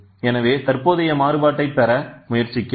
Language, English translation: Tamil, So, that we try to get the current variation